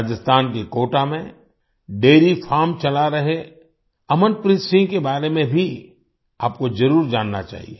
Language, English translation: Hindi, You must also know about Amanpreet Singh, who is running a dairy farm in Kota, Rajasthan